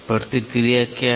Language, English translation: Hindi, What is backlash